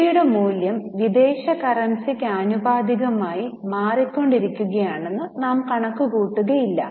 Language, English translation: Malayalam, We do not assume that the value of rupee though is changing vis a vis the foreign currency, we do not record the changes in the value of currency